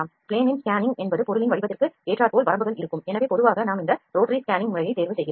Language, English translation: Tamil, Plane scanning is the scanning when we have few limitations related to the shape of the object, so normally you choose this scanning method